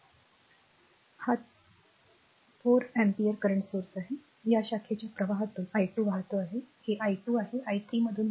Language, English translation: Marathi, So, this is 4 ampere current source, through this branch current is flowing i 2 this is i 1 current flowing through i 3 right